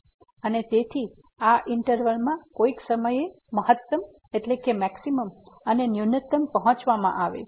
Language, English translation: Gujarati, And therefore, a maximum and minimum will be reached in this interval at some point